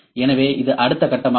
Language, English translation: Tamil, So, this is the next step